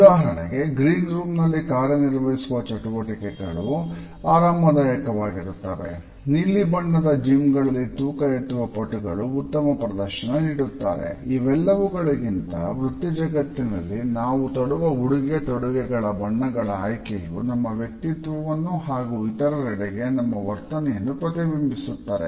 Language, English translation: Kannada, For example, performance feel more relaxed in a green room and weightlifters do their best in blue colored gyms, but beyond this in the professional world it is our choice of colors through different accessories which we carry on our body that we reflect our personality and our attitudes to other